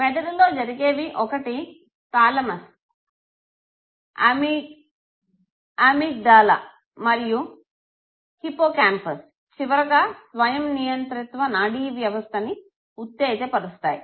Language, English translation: Telugu, That it takes in the brain, one where you have the thalamus, the amygdala and the hippocampus which finally goes to the activation of the autonomic nervous system